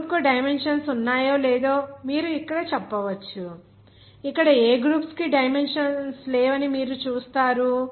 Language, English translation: Telugu, You can say that whether this group is having any dimensions or not you will see that no groups have any dimensions here